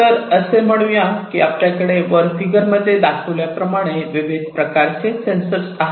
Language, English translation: Marathi, So, let us say that we have different sensors like the ones that are shown in this figure